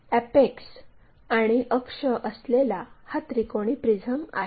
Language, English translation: Marathi, For example, this is the triangular prism having apex and axis